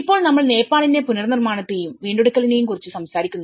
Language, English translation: Malayalam, Now, we talk about the reconstruction and recovery of Nepal